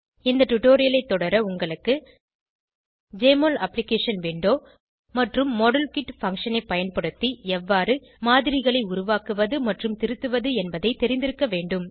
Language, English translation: Tamil, To follow this tutorial you should be familiar with Jmol Application Window and know to create and edit models using modelkit function